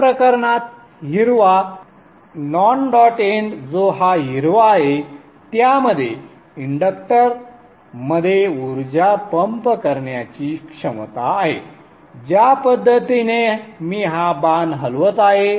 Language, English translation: Marathi, In this case the green, the non dot end which is this green has capability to pump energy into the inductor in this fashion